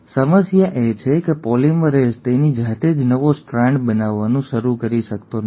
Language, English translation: Gujarati, The problem is, polymerase on its own cannot start making a new strand